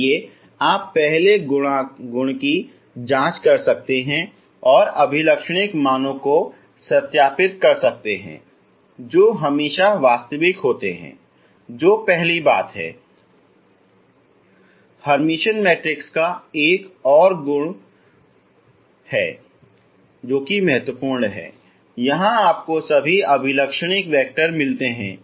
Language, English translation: Hindi, Eigen values are real and Eigen vectors you can so once they are Eigen another property of the Hermitian matrix is second important property you find all the Eigen vectors ok